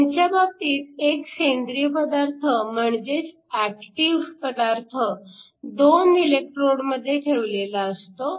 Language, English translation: Marathi, In this case, you have an organic material which is your active material sandwiched between 2 electrodes